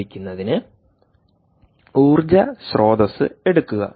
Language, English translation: Malayalam, take the energy source to begin with